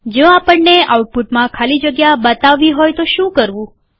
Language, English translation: Gujarati, What do we do if we want to introduce spaces in the output